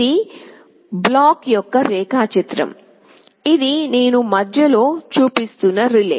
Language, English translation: Telugu, This is the block diagram of the relay I am showing in the middle